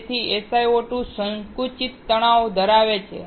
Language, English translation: Gujarati, So, SiO2 has compressive stress